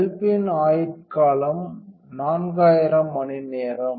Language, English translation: Tamil, So, the bulb has a lifespan of 4000 hours